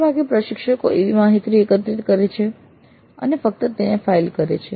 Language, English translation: Gujarati, Often the instructors collect the data and simply file it